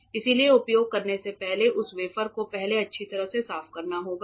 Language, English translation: Hindi, So, that wafer first before you use has to be cleaned thoroughly